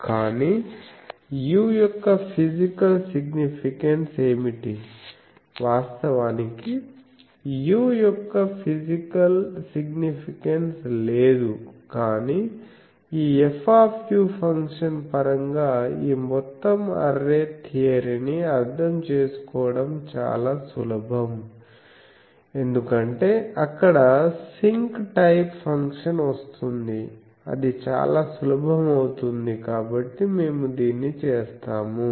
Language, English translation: Telugu, But, what is the physical significance of u, actually there is no physical significance of u, but it is very easy to understand this whole array theory in terms of this F u function, because this becomes very simple that Sinc type of function it comes that is why we do it